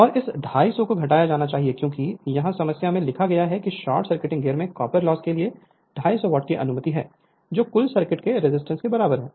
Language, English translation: Hindi, And this 250 you have to subtract because here it is here it is written in the problem allowing 250 watt for the copper loss in the short circuiting gear which is excluded from the resist equivalent sorry resistance of the total circuit